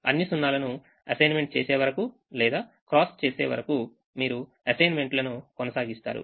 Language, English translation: Telugu, you will continue to make assignments till all the zeros are either assigned or crossed